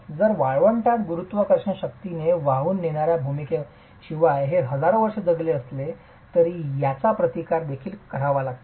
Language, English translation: Marathi, If it has survived several thousand years in the desert where apart from the role of carrying gravity forces it also has to counteract wind, right